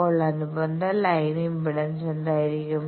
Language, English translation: Malayalam, So, what will be the corresponding line impedance